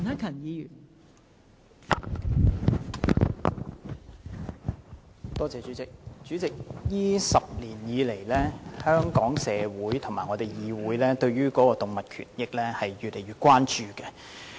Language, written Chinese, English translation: Cantonese, 代理主席，這10年以來，香港社會和議會對於動物權益越來越關注。, Deputy President over the past decade the community and this Council have become increasingly concerned about animal rights